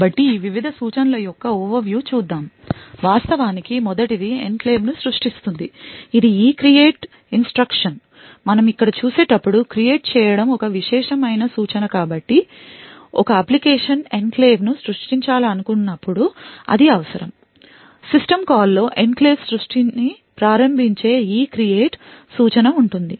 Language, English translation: Telugu, So let us look at an overview of this various instructions, the first one is actually to create the enclave that is the ECREATE instruction and as we see over here create is a privileged instruction so whenever an application wants to create an enclave it would require to call make a system call within the system call there would be an ECREATE instruction which would initialize initiate the enclave creation